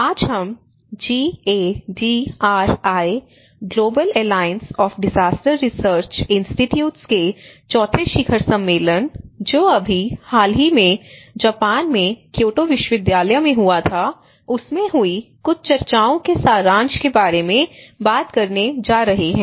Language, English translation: Hindi, Today, we are going to discuss about some of the summary of the discussions which happened in the GADRI, Global Alliance of Disaster Research Institutes, the fourth summit which just recently happened in Kyoto University in Japan